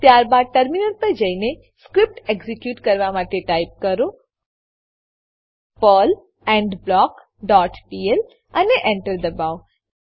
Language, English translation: Gujarati, Then switch to terminal and execute the script by typing, perl endBlock dot pl and press Enter